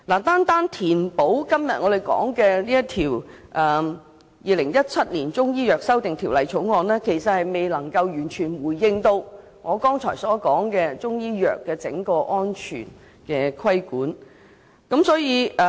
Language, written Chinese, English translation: Cantonese, 單是透過我們今天討論的這項《條例草案》填補漏洞，其實未能完全回應我剛才提到對整個中醫藥制度作出安全規管的訴求。, Plugging the loopholes simply through this Bill under discussion today cannot fully respond to the aspiration for regulation of the safety of Chinese medicines in the entire system that I mentioned just now